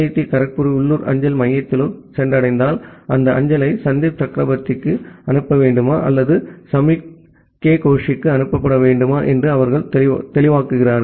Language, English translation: Tamil, Now once it reaches to the local people or the local postal center of IIT Kharagpur, then they disambiguate whether the mail need to be delivered to Sandip Chakraborty or that need to be delivered to Soumukh K Gosh that way we basically disambiguate the entire system